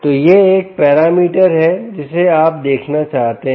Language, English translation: Hindi, so, ah, this is a parameter which you may want to look out